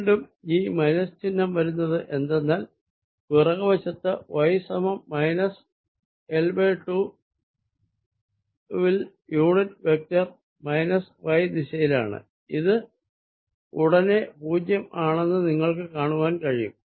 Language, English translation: Malayalam, this minus sign again arises because on the backside, at y equals minus l by two, the unit vector is in the minus y direction and this, you can see immediately, gives me zero